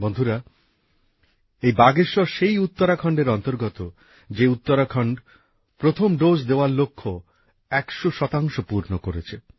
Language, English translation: Bengali, Friends, she is from Bageshwar, part of the very land of Uttarakhand which accomplished the task of administering cent percent of the first dose